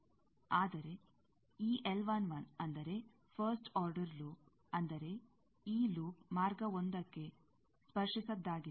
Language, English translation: Kannada, There are three first order loops, but which one is non touching to path 1